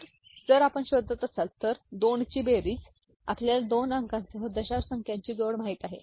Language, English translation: Marathi, So, if you are looking for you know, addition of 2 you know addition of numbers decimal numbers with 2 digits